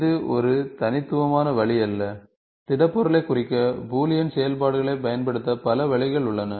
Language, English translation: Tamil, There are, it is not a unique way, there are several ways the Boolean operation, you can use several ways to represent a solid